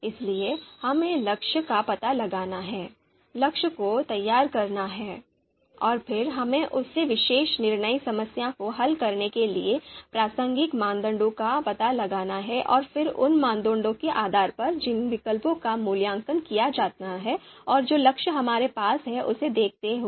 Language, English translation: Hindi, So we have to figure out the goal, formulate the goal, and then we have to find out the relevant criteria to solve that particular you know decision problem and then the alternatives that are to be evaluated based on those criteria and given the goal that we have